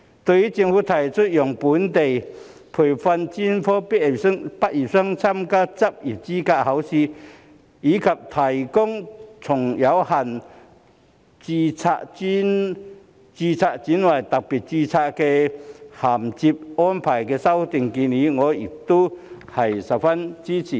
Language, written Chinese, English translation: Cantonese, 對於政府提出讓非本地培訓專科畢業生參加執業資格試，以及提供從有限度註冊轉為特別註冊的銜接安排的修訂建議，我亦十分支持。, I also strongly support the Governments amendments to allow non - locally trained medical graduates to take the Licensing Examination and to provide bridging from limited registration to special registration